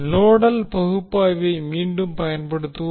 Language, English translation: Tamil, So we will again use the nodal analysis